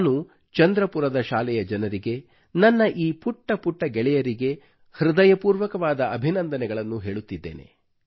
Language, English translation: Kannada, I congratulate these young friends and members of the school in Chandrapur, from the core of my heart